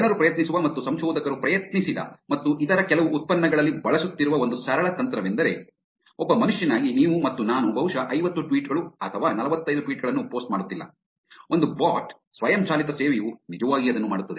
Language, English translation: Kannada, One simple technique that people try and researchers have tried and it is also being used in some other products is to actually look at the frequency of the post that somebody does, as a human being, you and I probably will not be posting 50 tweets or 45 tweets and, whereas a bot, an automated service would actually do that